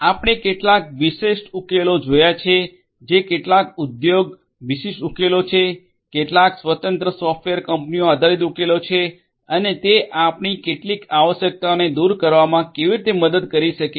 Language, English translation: Gujarati, We have looked at certain specific solutions that are there some industry specific solutions, some software you know independent software company based solutions and so and how they can help in addressing some of our requirements